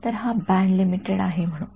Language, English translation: Marathi, So, say it is band limited